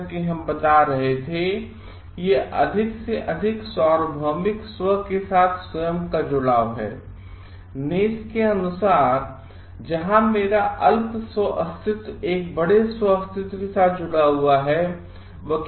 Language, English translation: Hindi, As we were telling it is a connectivity of oneself with the greater universal self; where my small shelf is connected with a bigger self as per Naess